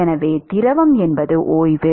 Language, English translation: Tamil, So, fluid is rest